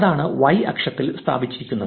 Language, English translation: Malayalam, So, that is how it is written on the x axis